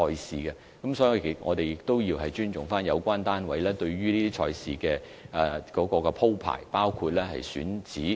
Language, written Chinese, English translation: Cantonese, 所以，我們要尊重有關單位對賽事的安排，包括選址。, Therefore we have to respect the organizers racing arrangements including the venue